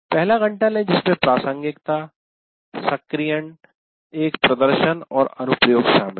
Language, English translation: Hindi, And then take the first hour, relevance, activation, a demonstration and application